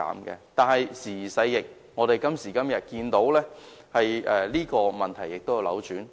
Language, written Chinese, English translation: Cantonese, 然而，時移世易，今時今日，這個問題已經逆轉。, However today the world has changed and the reverse prevails